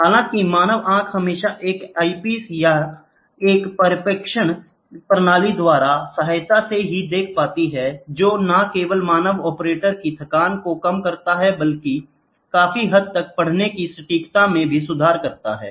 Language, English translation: Hindi, However, the human eye is invariably aided by an eyepiece or a projection system; which not only reduces the fatigue of the human operator, but also improves the reading accuracy to a large extent